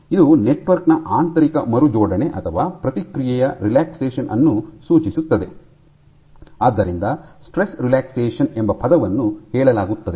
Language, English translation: Kannada, Because this suggests this is indicative of internal rearrangements of the network or relaxation of the respond, hence the term stress relaxation